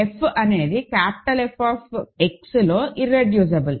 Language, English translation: Telugu, And f is irreducible in capital F X